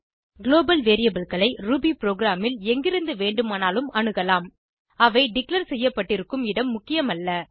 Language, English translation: Tamil, Global variables are accessible from anywhere in the Ruby program regardless of where they are declared